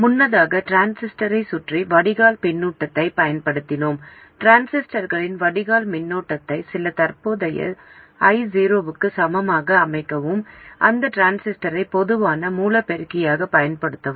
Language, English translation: Tamil, Earlier we have used a drain feedback around a transistor to set the transistor drain current to be equal to some given current i0 and use the transistor as a common source amplifier